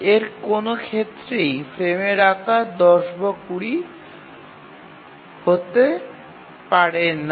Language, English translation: Bengali, So in none of these cases, so the frame size can be either 10 or 20